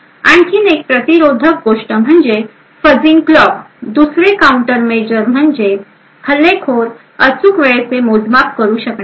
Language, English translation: Marathi, Another countermeasure is by fuzzing clocks so that the attacker will not be able to make precise timing measurement